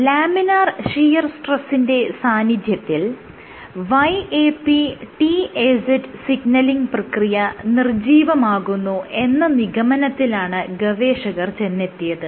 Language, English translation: Malayalam, Together what they concluded was under laminar shear stress inactivates YAP/TAZ signaling